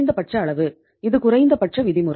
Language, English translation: Tamil, This is the minimum norm